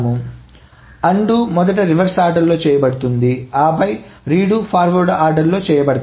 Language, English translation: Telugu, So undoes are first done in a reverse order and then the redos are being done in a forward order